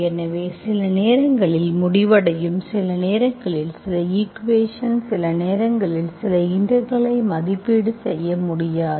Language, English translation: Tamil, So you might end up sometimes, sometimes some equations, sometimes some integrals you will not be able to evaluate